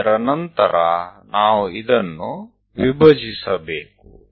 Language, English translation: Kannada, After that we have to divide this one